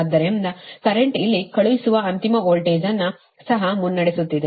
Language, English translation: Kannada, so current actually is leading, the sending end voltage here also